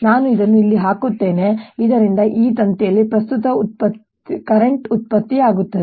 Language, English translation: Kannada, i'll put this here so that there is an current produce in this wire